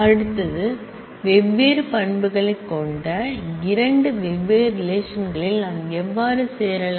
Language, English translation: Tamil, Next comes how can we join 2 different relations which have different set of attributes